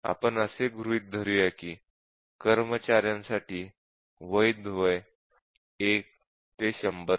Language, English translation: Marathi, And let us assume that the valid age for employees is 1 to 100 or may be 18, 1 to 100